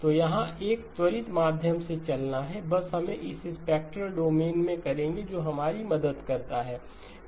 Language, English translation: Hindi, So here is a quick run through of the just we will just do it in the spectral domain that helps us